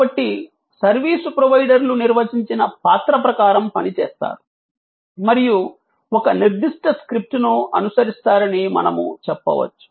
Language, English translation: Telugu, So, this is, what we say, that the service providers act according to a define role and follow a certain script